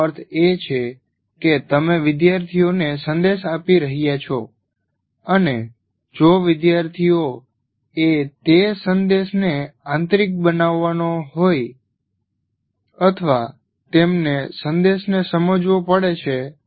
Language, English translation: Gujarati, And when the communication takes place, that means you are giving a message to the student and if the student has to internalize that message, or he has to understand the message